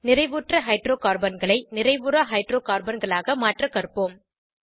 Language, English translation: Tamil, Let us learn to convert Saturated Hydrocarbons to Unsaturated Hydrocarbons